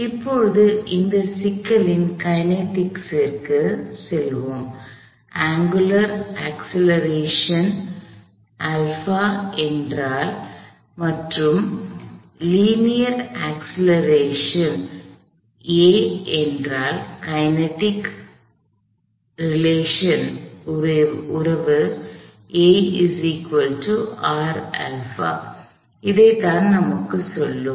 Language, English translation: Tamil, So, now, for the kinetics of this problem, kinematics, if the angular acceleration is alpha and if the linear acceleration is a, then a equals R alpha, this is what the kinematic relationship would tell us